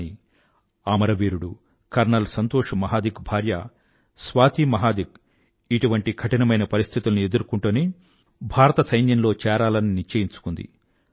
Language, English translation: Telugu, But Swati Mahadik, the wife of martyr colonel Santosh Mahadik resolved to face the difficult situations and she joined the Indian Army